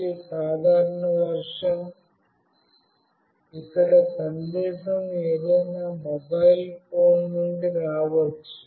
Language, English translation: Telugu, One is a normal version, where the message can come from any mobile phone